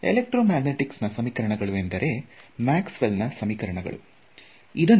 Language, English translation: Kannada, Then the equations everyone knows that electromagnetic the equations are of are Maxwell’s equations